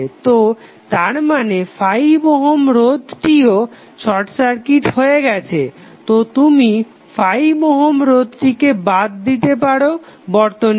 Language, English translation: Bengali, So, that means that 5 ohms resistance is also short circuited so you can neglect this 5 ohm resistance from the circuit